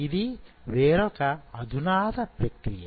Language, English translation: Telugu, This is another modern technique